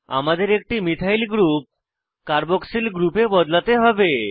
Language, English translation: Bengali, We have to convert one of the methyl groups to a carboxyl group